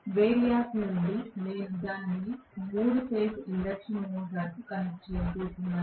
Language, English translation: Telugu, From the variac I am going to connect it to the 3 phase induction motor